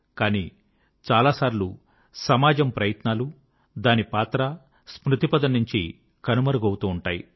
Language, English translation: Telugu, But sometimes it so happens, that the efforts of the society and its contribution, get wiped from our collective memory